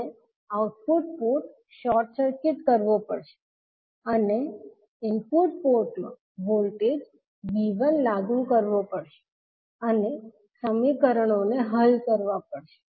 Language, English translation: Gujarati, We have to short circuit the output port and apply a voltage V 1 in the input port and solve the equations